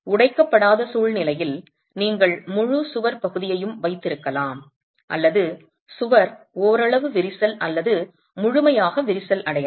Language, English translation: Tamil, You can have the entire wall section in the uncracked situation or the wall partly cracked or fully cracked